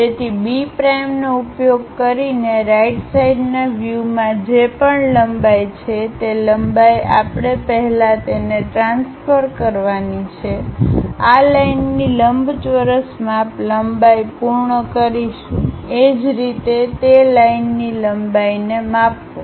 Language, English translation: Gujarati, So, using B prime, whatever the length in the right side view we have that length first we have to transfer it, complete the rectangle measure length of this line; similarly, measure lengths of that line